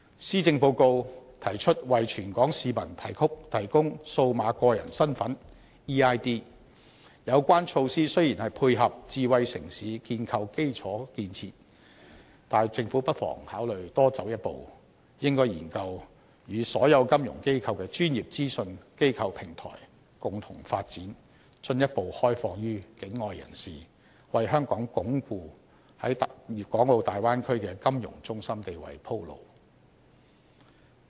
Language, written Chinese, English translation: Cantonese, 施政報告提出為全港市民提供"數碼個人身份"，有關措施雖然是配合智慧城市建構基礎建設，但政府不妨考慮多走一步，應該研究與所有金融機構的專業資訊機構平台共同發展，進一步開放予境外人士，為香港鞏固在大灣區的金融中心地位鋪路。, The Policy Address proposes to provide an eID for all Hong Kong residents . This measure will be an infrastructure to dovetail our development into a smart city but the Government may as well take a further step . It should explore the possibility of jointly developing a Know - your - customer Utility with all financial institutions and extending it to non - Hong Kong people so as to pave the way for reinforcing Hong Kongs position as a financial centre in the Bay Area